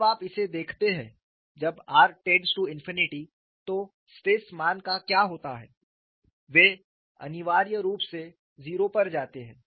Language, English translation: Hindi, Suppose you look at this, when r tends to infinity what happens to the stress values, they essentially go to 0